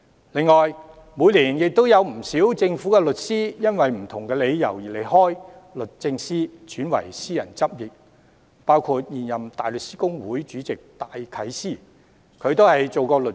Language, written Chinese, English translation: Cantonese, 此外，每年也有不少政府律師由於不同理由離開律政司，轉為私人執業，當中包括現任大律師公會主席戴啟思。, Moreover many government lawyers leave DoJ for private practices because of various reasons every year and among them is Philip J DYKES incumbent chairman of the Hong Kong Bar Association